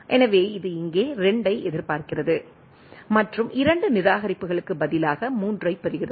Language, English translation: Tamil, So, it has expecting, 2 here and receive 3 instead of 2 discards